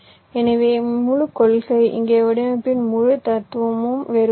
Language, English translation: Tamil, so the entire principle, ah, the entire philosophy of design here is different